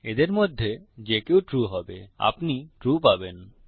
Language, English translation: Bengali, either of them are true, you will be left with true